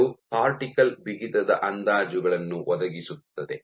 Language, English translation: Kannada, So, this provides estimates cortical stiffness